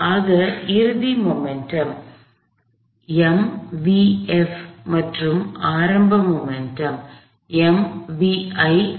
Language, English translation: Tamil, So, the final momentum is m times v f, the initial momentum is m times v i